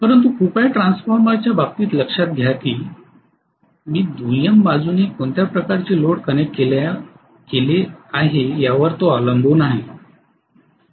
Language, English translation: Marathi, But please note in the case of transformer it depended upon what kind of load I connected on the secondary side